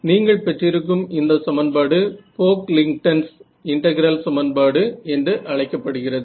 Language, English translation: Tamil, Any way this equation that you get is what is called the Pocklington’s integral equation alright, so it is named after the person who came up with this